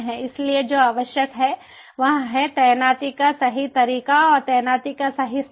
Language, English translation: Hindi, so what is required is to have the right way of deployment and the right place of deployment